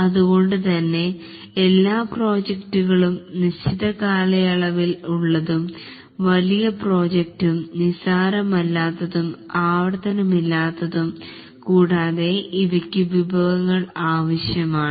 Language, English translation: Malayalam, So, all projects are of finite duration, large projects, non trivial, non repetitive, and these require resources